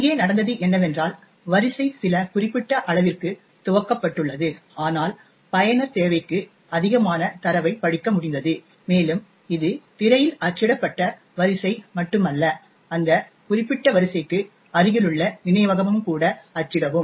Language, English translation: Tamil, What has happened here is that the array has been initialised to some specific size but the user has managed to read more data than is required and essentially it is not just the array that gets printed on the screen but memory adjacent to that particular array would also get printed